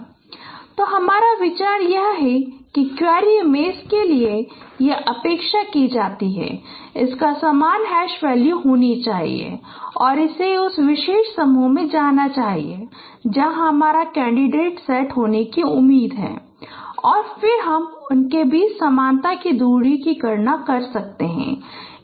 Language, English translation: Hindi, So your idea is that for a query image it is expected that it should have a similar hash value and it should go to that particular group where your candidate set is expected to be there